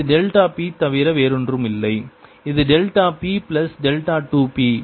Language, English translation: Tamil, this is delta p plus delta two p